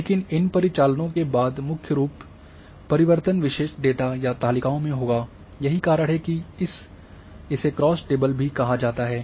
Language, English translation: Hindi, But, after these operations the major changes will occur mainly in the attribute data or tables, that is why this are also called cross tables